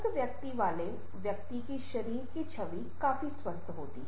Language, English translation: Hindi, a person with a fairly healthy personality will have a fairly healthy body image